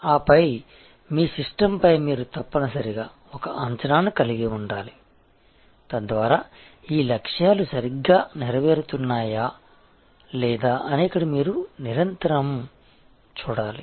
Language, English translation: Telugu, And then, of course, you must have an assessment of this your system, where you must continuously see, so that whether these objectives are properly being fulfilled